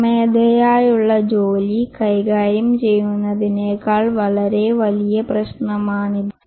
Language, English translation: Malayalam, This is a much bigger problem than managing manual work